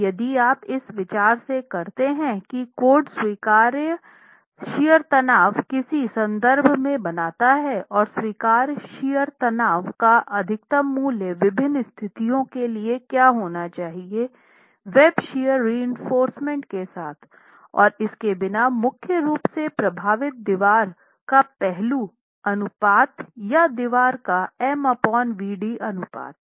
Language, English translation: Hindi, Now if you remember from the considerations that the code makes in terms of what should be the allowable, allowable shear stress and the maximum value of the allowable shear stress for different conditions without and with web shear reinforcement affected primarily by the aspect ratio of the wall or the m by vd ratio of the wall